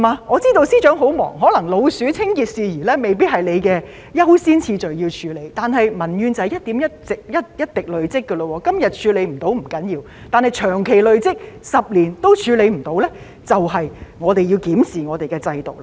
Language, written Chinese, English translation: Cantonese, 我知道司長很忙碌，可能捉老鼠等清潔事宜未必是你優先處理的工作，但民怨便是這樣一點一滴累積下來的；問題今天處理不到不要緊，但長期累積下去 ，10 年也處理不到的話，我們便要檢視我們的制度了。, I know that you Secretary are very busy and hygiene matters such as rodent disinfestation are probably not your priority tasks but this will result in gradual accumulation of public grievances . While it is okay that some problems have not yet been addressed today we will need to review our system if they continue to pile up over a long period of time and remain unhandled for 10 years